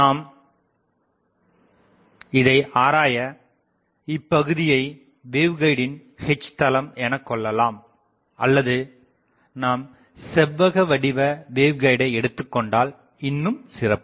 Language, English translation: Tamil, So, this is the I can say H plane of the waveguide or if we go back to the rectangular waveguide that will be better